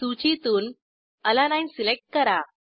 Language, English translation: Marathi, Select Alanine from the list